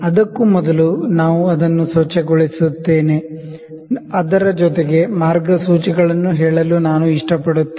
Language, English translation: Kannada, Before that while we are cleaning it, I like to just tell the guidelines